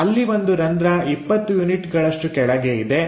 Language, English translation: Kannada, There is a hole which is at 20 units down